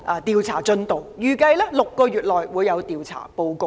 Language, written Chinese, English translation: Cantonese, 調查委員會預計6個月內會完成調查報告。, The Commission is expected to complete the inquiry report in six months time